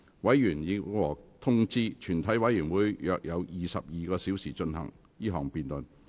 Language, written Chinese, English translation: Cantonese, 委員已獲通知，全體委員會約有22小時進行這項辯論。, Members have been informed that the committee will have about 22 hours to conduct this debate